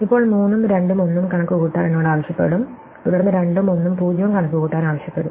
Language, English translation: Malayalam, Now, 3 in turn will ask me to compute 2 and 1, then 2 in turn will ask me to compute 1 and 0